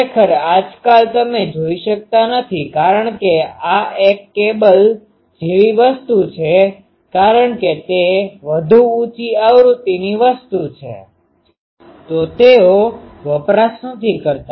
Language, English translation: Gujarati, Actually, in the nowadays you do not see because this is a cable thing because that is a more higher frequency things; so, they do not do